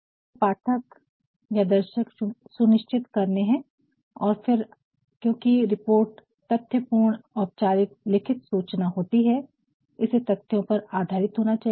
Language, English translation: Hindi, So, you also have to determine your audience and then because report is a factual formal written piece of information, it has to be based on data